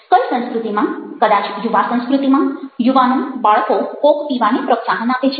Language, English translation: Gujarati, culture in which cultures youth cultures may be young kids cultures coke is encouraged